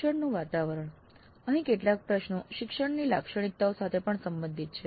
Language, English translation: Gujarati, Then learning environment, some of the questions here are also related to instructor characteristics